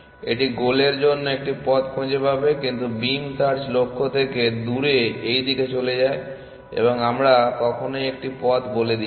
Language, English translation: Bengali, It will find a path for the goal but beam search go off in this direction away from the goal and we never actually give you a path